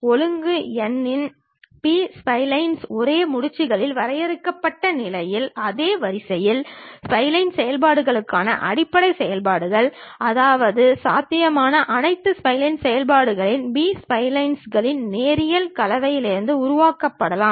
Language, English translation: Tamil, B splines of order n, basis functions for spline functions for the same order defined over same knots, meaning that all possible spline function can be built from a linear combinations of B splines